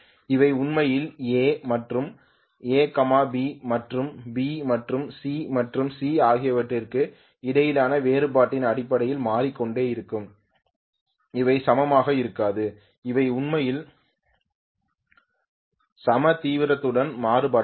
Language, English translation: Tamil, They will be actually changing in terms of the difference between A and A, B and B, and C and C they will not be equal, they will not be actually varying with equal intensity and so on